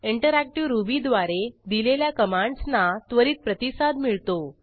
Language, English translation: Marathi, Interactive Ruby allows the execution of Ruby commands with immediate response